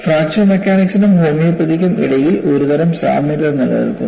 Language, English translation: Malayalam, And some kind of an analogy exists, between fracture mechanics and homeopathy